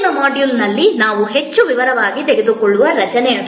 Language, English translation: Kannada, That is the structure that, we will take up in more detail in the next module